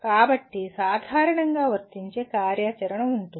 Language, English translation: Telugu, So that is what generally apply activity will involve